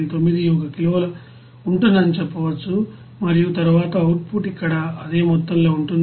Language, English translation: Telugu, 91 kg per second and then output will be here the same amount